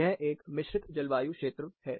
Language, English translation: Hindi, So, this is called composite climate